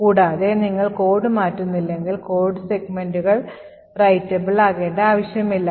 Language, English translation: Malayalam, Further most if you are not changing code, we do not require that the codes segments to be writable